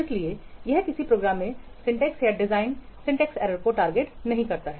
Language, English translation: Hindi, So, it does not target to syntax or design syntax errors in a program